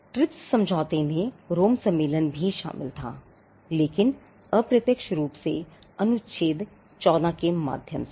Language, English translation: Hindi, The TRIPS agreement also incorporated the Rome convention, but indirectly through Article 14